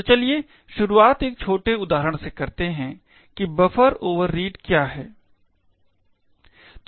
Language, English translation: Hindi, So, let start with a small example of what buffer overreads is